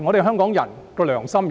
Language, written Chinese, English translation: Cantonese, 香港人的良心何在？, How can Hong Kong people do this in all conscience?